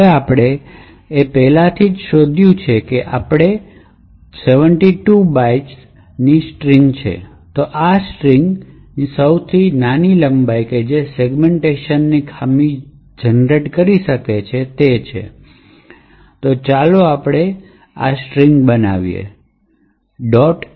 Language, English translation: Gujarati, if we specified that A is 72 bytes, then this is the smallest length of the string which would create a segmentation fault, so let us see this happening